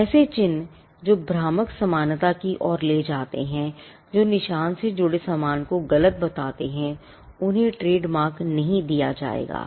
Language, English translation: Hindi, Marks that lead to deceptive similarity, marks which misdescribes the goods attached to it will not be granted trademark